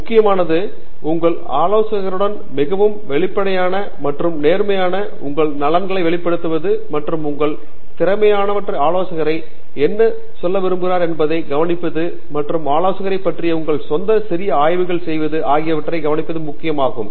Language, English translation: Tamil, So, what is important is upfront to be very frank and honest with your advisor, express what your interests are and also listen to what your potential advisor has got to say, and do your own little bit of research about the advisor